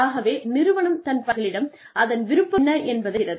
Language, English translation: Tamil, So, it tells the employees, what it wants